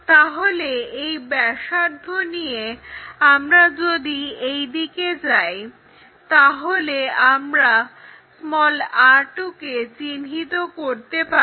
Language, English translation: Bengali, So, with this radius if we are going in this way we will locate r2, then project this r 2 all the way to locate r2'